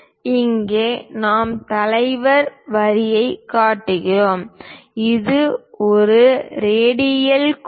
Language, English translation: Tamil, Here we are showing leader line this is also a radial line